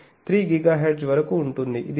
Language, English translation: Telugu, 3 to 3 GHz